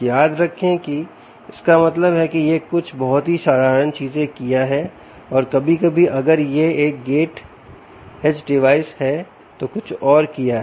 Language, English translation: Hindi, remember what it means is it has done some very simple things and sometimes, if it is a gate edge device, has done something more